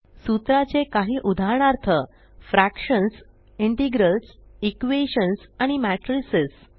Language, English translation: Marathi, Some examples of formulae are fractions, integrals, equations and matrices